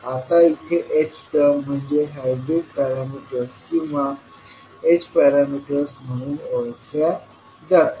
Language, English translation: Marathi, Now h terms are known as the hybrid parameters or h parameters in this case